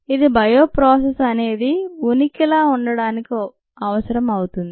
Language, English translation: Telugu, that is necessary for a bioprocess to exist